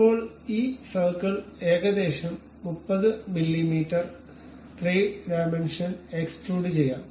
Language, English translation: Malayalam, Now this circle we extrude it in 3 dimensions may be making it some 30 mm